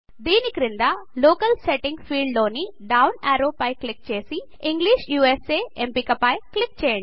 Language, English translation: Telugu, Below that click on the down arrow in the Locale setting field and then click on the English USA option